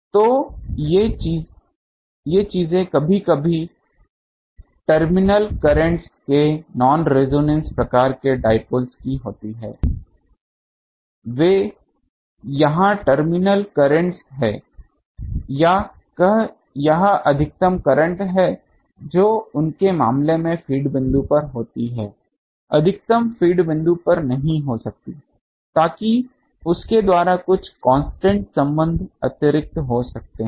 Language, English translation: Hindi, So, these thing only sometimes the terminal currents of the non resonance type of dipole they here these are the terminal currents or this maximum current which occurs at the feed point in their case the maximum may not occur at the feed point so, that by some constant relation they can be eh extrapolated ok